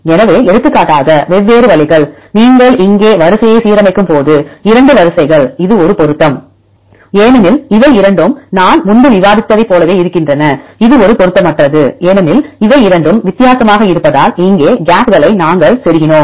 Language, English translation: Tamil, So, different ways for example, is the 2 sequences when you align the sequence here this is a match because both are the same as I have discussed earlier, this is a mismatch, because the both are different here we inserted the gaps here